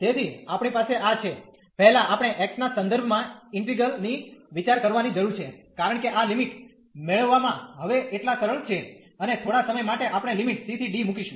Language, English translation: Gujarati, So, we have this first we need to get the integral with respect to x, because getting this limits are as much easier now and for the while we will put the limits from c to d